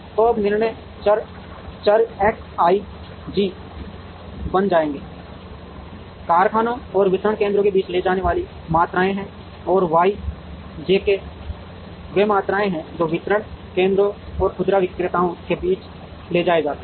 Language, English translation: Hindi, So now, the decision variables will become X i j are the quantities transported between the factories and the distribution centers and Y j k are the quantities that are transported between the distribution centers and the retailers